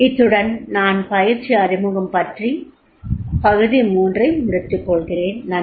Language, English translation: Tamil, So here I conclude the introduction to the training part three